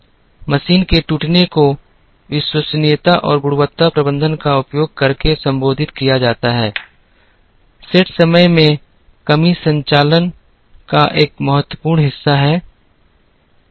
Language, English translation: Hindi, Machine breakdowns are addressed using reliability and quality management, set up times reduction is a very important part of operations